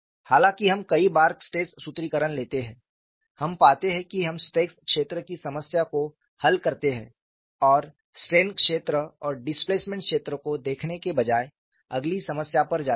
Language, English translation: Hindi, Though we take stress formulation many times, we find we just solve the stress field problem and go to the next problem, rather than looking at the strain field and the displacement field